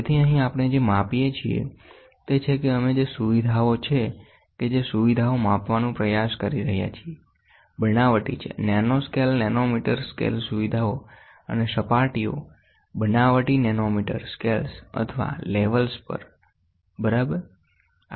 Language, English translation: Gujarati, So, here what we are measuring is we are trying to measure features which are fabricated, features fabricated at nanoscale, nanometer scale features and surfaces, fabricated at nanometer scales or levels, ok